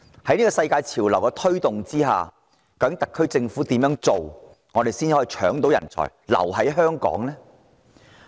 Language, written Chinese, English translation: Cantonese, 在這股世界潮流下，特區政府應當怎樣做，才能成功搶奪人才，令他們留在香港？, How should the SAR Government respond in this global trend if it is to be successful in seizing talents and making them stay in Hong Kong?